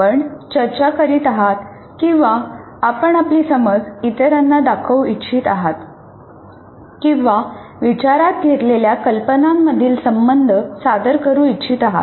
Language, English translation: Marathi, Are you discussing or are you trying to, you want to show your understanding to others, or the teacher wants to present the relationships between the ideas that are under consideration